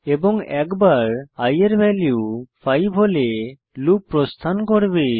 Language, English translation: Bengali, And the loop will exit once the value of i becomes 5